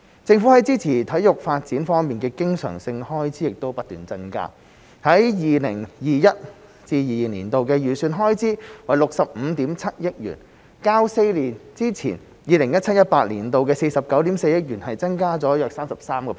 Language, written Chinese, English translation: Cantonese, 政府在支持體育發展方面的經常性開支亦不斷增加 ，2021-2022 年度的預算開支為65億 7,000 萬元，較4年之前、2017-2018 年度的49億 4,000 萬元，增加了約 33%。, The Governments recurrent expenditure on supporting sports development is also increasing . The estimated expenditure for 2021 - 2022 is 6.57 billion representing an increase of about 33 % from 4.94 billion for 2017 - 2018 four years ago